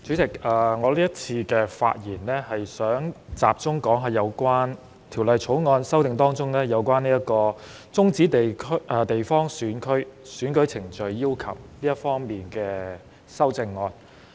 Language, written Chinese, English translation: Cantonese, 代理主席，在這次發言中，我想集中談談《2021年完善選舉制度條例草案》中，修訂有關終止地方選區選舉程序要求的修正案。, Deputy Chairman I rise to speak on the changes to the catering functional constituency FC in this legislative amendment exercise . Some people say that this legislative amendment exercise will result in a reduction in the number of voters in the catering FC which will undermine its representativeness